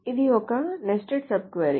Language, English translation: Telugu, So, this is a nested subquiry